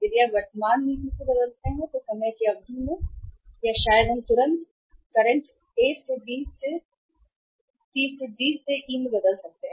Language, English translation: Hindi, So over a period of time or maybe immediately if you change the policy from the current we can change from the current to A to B to C to D to E